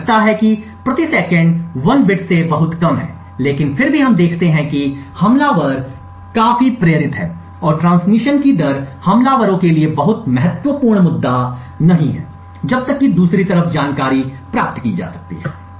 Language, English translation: Hindi, This seems to be much less than 1 bit per second but nevertheless we see that attackers are quite motivated, and the rate of transmission is not a very critical issue for attackers as long as the information can be obtained on the other side